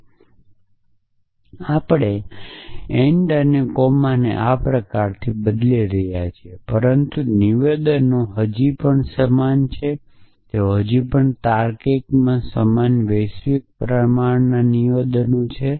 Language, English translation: Gujarati, And we are replacing ands by comas and this kind of staff, but the statements are still the same they are still the same universally quantified statements in logic